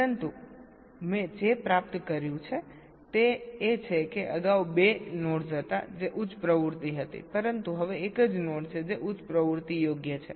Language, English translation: Gujarati, right, but what i have achieved is that earlier there are two nodes that were high activity, but now there is a single node which is high activity, right